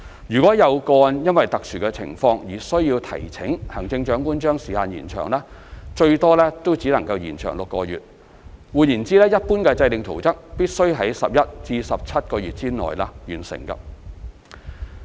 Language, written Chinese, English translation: Cantonese, 如果有個案因其特殊情況而須提請行政長官將時限延長，最多也只能延長6個月，換言之，一般制訂圖則必須在11至17個月內完成。, In case of special circumstances where approval of the Chief Executive has to be sought to extend the time limit only a maximum extension of six months could be allowed . In other words plan - making in general has to be completed within 11 to 17 months